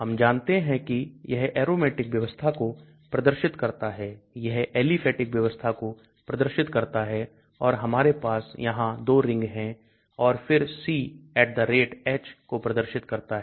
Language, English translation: Hindi, We understand this represents the aromatic system, this represents the aliphatic system and so we have 2 rings here and then C @ H represents this